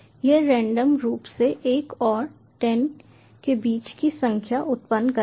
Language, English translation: Hindi, it will randomly generate numbers between one and ten and print value